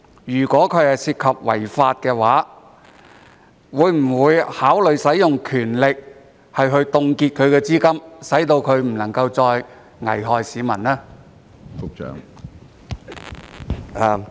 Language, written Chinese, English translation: Cantonese, 如果是違法的，局長會否考慮行使權力凍結法輪功的資金，使其不能夠再危害市民？, If it is illegal will the Secretary consider exercising his power to freeze Falun Gongs funds so that it can no longer endanger the general public?